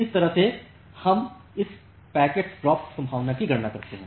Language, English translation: Hindi, So, this is the way we calculate this packet drop probability